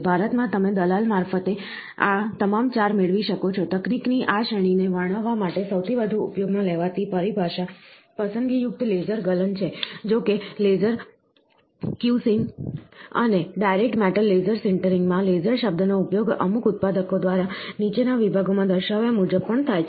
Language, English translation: Gujarati, In India, you can get all the 4 through a agent right, the most commonly used terminology to describe this category of technology is selective laser melting; however, the term laser in the laser cusing and direct metal laser sintering are also used by certain manufacturer as mentioned in the following sections